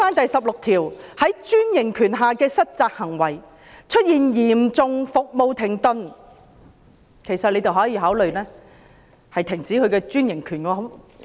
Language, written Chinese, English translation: Cantonese, 第16條"在專營權下的失責行為"提到"出現嚴重服務停頓"，政府可考慮終止其專營權。, Section 16 Default under franchise stipulates that the Government may consider terminating the franchise in the event of a substantial breakdown of the service